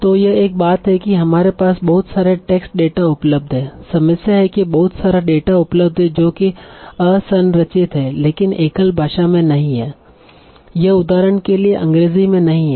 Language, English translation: Hindi, There is another problem that so much data is available that is unrestructured but this is not in a single language for example English